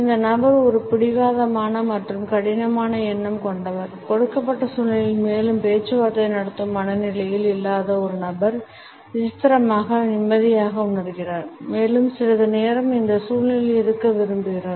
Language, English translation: Tamil, This person comes across is a stubborn and tough minded person; a person who is not in a mood to negotiate yet in the given situation feels strangely relaxed and wants to stay in this situation for a little while